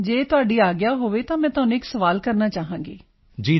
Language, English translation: Punjabi, If you permit sir, I would like to ask you a question